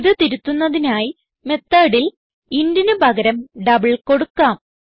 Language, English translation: Malayalam, So what we do is in the method instead of int we will give double